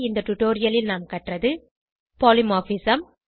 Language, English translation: Tamil, In this tutorial, we learnt Polymorphism